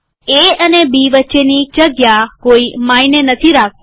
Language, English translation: Gujarati, The space between A and B does not matter